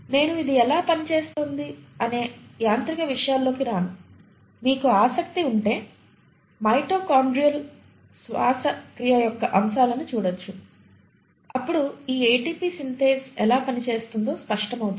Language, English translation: Telugu, I will not get into the machinery as to how it functions; if you are interested you can always look at topics of mitochondrial respiration, it will become evident how this ATP Synthase work